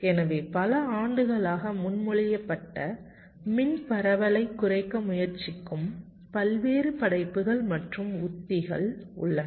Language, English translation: Tamil, so there have been various works and strategies that have been proposed over the years which try to reduce the power dissipation